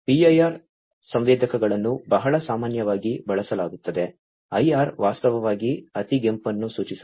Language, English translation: Kannada, PIR sensors are very commonly used, IR actually stands for infrared right